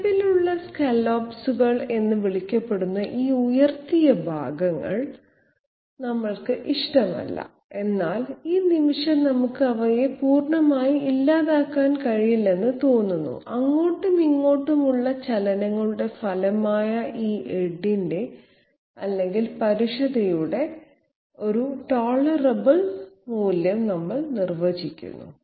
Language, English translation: Malayalam, We do not like these upraised portions called scallops existing, but at this moment it appears that we cannot do away with them completely and therefore, we define a tolerable value of this edge or roughness which is the result from these to and fro motions